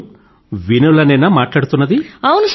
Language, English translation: Telugu, Is that Vinole speaking